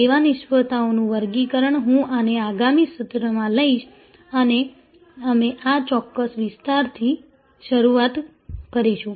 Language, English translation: Gujarati, Classification of service failures, I will take up this in the next session and we will start from this particular area